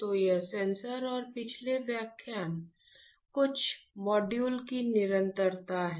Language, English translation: Hindi, So, this is a continuation of our previous few modules on sensors